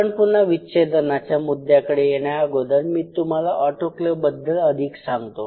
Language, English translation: Marathi, So, just before I again get back to the dissecting thing, let me talk about this autoclave stuff